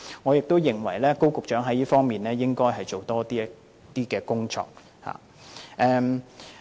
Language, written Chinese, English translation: Cantonese, 我認為高局長在這方面應該多做工作。, I think Secretary Dr KO should make greater effort in this regard